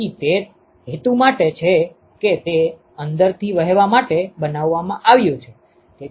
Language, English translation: Gujarati, So, it is for that purpose that it is been made to flow inside